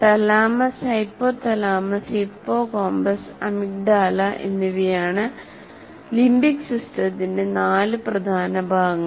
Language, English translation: Malayalam, The four major parts of the limbic system are thalamus, hypothalamus, hippocampus, and amygdala